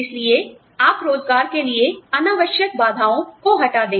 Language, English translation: Hindi, So, you remove, the unnecessary barriers to employment